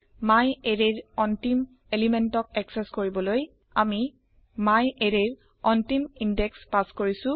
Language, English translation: Assamese, To access the last element of myArray , we have passed the last index of myArray